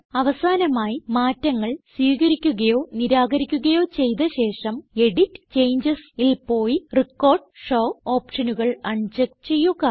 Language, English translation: Malayalam, Finally, after accepting or rejecting changes, we should go to EDIT CHANGES and uncheck Record and Show options